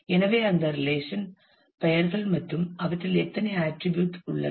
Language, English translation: Tamil, So, those relation names and the how many attributes they have